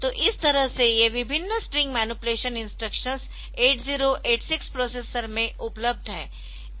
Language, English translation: Hindi, So, these are the various string manipulation instructions that are available in the 8086 processor